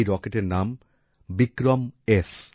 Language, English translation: Bengali, The name of this rocket is 'VikramS'